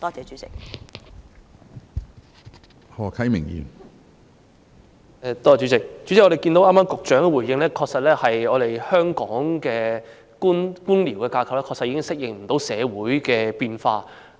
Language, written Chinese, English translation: Cantonese, 主席，我們從局長剛才的回應便可知道，香港的官僚架構確實已不能適應社會的變化。, President we can tell from the Secretarys response just now that the bureaucratic structure in Hong Kong really cannot cope with social changes